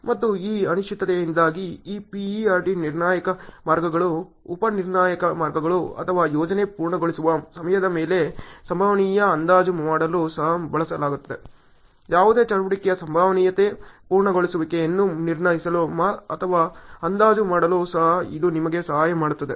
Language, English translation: Kannada, And because of this uncertainty, this PERT also used for doing probabilistic estimation on critical paths, sub critical paths or project completion time; it can also help you to judge or estimate on the probability completion on any activity and so on